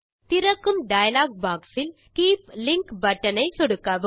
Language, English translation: Tamil, In the dialog box that appears, click on Keep Link button